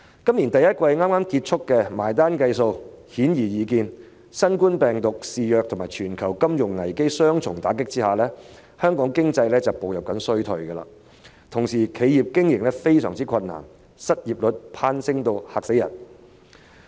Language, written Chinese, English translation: Cantonese, 今年第一季剛剛結束，只須計算一下便顯然易見，在新型冠狀病毒疫情肆虐及全球金融危機的雙重打擊下，香港經濟正步入衰退，同時企業經營亦相當困難，失業率攀升至令人害怕的水平。, The first quarter of this year has just ended and we can easily see after a simple computation that under the double whammy of the outbreak of the novel coronavirus and a global financial crisis the Hong Kong economy is entering recession . At the same time businesses are facing great operating difficulties and the unemployment rate has risen to a frightening level